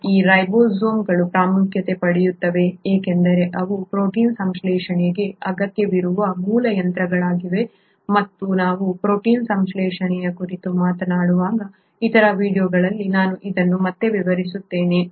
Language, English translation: Kannada, Now these ribosomes become important because they are the basic machinery which is required for protein synthesis and I will come back to this later in other videos when we are talking about protein synthesis